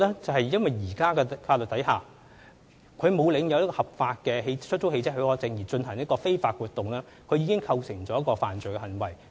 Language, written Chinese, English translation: Cantonese, 在現行法例下，車主沒有領有合法的出租汽車許可證而進行非法活動，已構成犯罪行為。, Under the existing legislation it is an offence for a vehicle owner not having any valid HCP to engage in illegal carriage of passengers